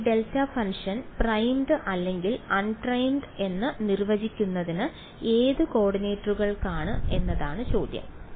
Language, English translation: Malayalam, So, the question is in for which coordinates is this delta function defined primed or un primed